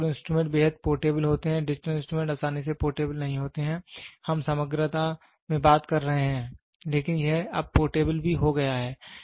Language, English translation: Hindi, The analog instruments are extremely portable, the digital instruments are not easily portable, we are talking about in totality, but it is now also become portable